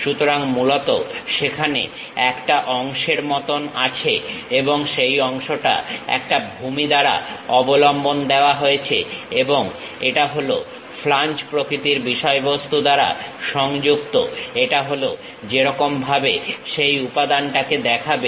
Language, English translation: Bengali, So, this basically, there is something like a part and that part is supported by a base and this is connected by a flange kind of thing, this is the way that element really looks like